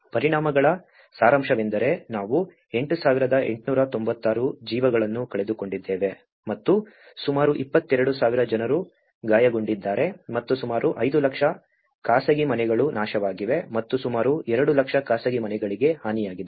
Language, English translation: Kannada, The summary of the impacts is we talk about the 8,896 lives have been lost and almost 22,000 people have been injured and about nearly 5 lakhs private houses have been destroyed and about two lakhs private houses have been damaged